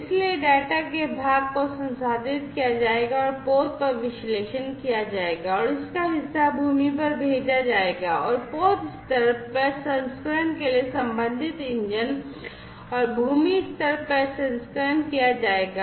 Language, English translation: Hindi, So, part of the data will be processed at will be analyzed at the vessel and part of it will be sent to the land, and corresponding engines for vessel level processing, and land level processing are going to be done